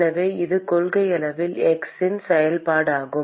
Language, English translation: Tamil, So, this is in principle a function of x